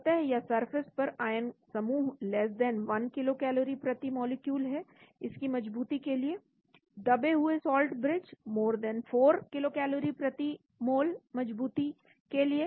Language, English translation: Hindi, ion pairs on the surface <1 kilocalorie per mole on to this for stability, buried salt bridge > 4 kilocalories per mole to be stable